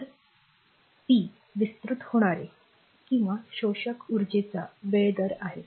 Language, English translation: Marathi, So, power is the time rate of a expanding or a absorbing energy